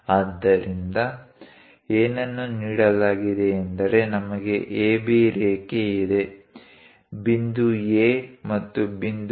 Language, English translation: Kannada, So, what is given is; we have a line AB; point A and point B